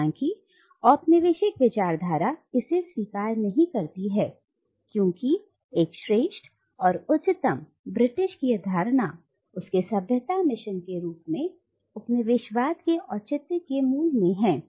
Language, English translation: Hindi, However, the colonial discourse cannot admit this because the notion of a superior and exalted Britishness is at the core of its justification of colonialism as a civilising mission